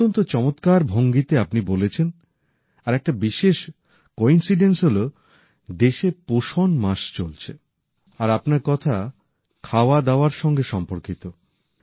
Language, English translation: Bengali, You narrated in such a nice way and what a special coincidence that nutrition week is going on in the country and your story is connected to food